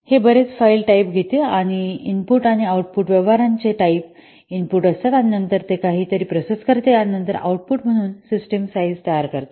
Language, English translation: Marathi, It takes the number of file types and the number of input and output transaction types as input and then it processes something and then it will produce the system size as the output